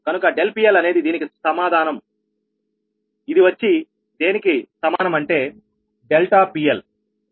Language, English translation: Telugu, that means this one, this one is equal to delta pl